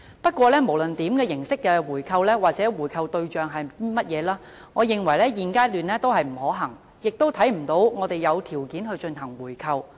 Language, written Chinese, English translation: Cantonese, 不過，無論是哪種形式的回購或回購的對象是誰，我認為現階段都不可行，亦看不到我們有條件進行回購。, Nonetheless regardless of how or from whom to make such a buy - back I neither think it is feasible at the current stage nor do I see the conditions to do so